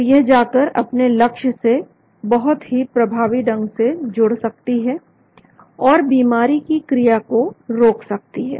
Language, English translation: Hindi, so they can go and bind very effectively to the target, and stop the disease process